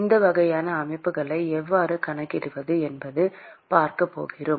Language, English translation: Tamil, And we are going to see how to account for these kinds of systems